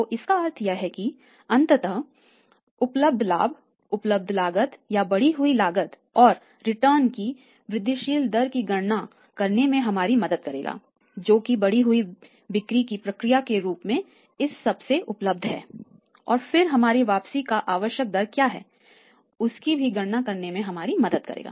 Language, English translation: Hindi, So, it means the ultimately the available profit available cost or increased cost and that will be say helping us to calculate the incremental rate of return which is available from all this as a process of the increased sales and then what is our required rate of return right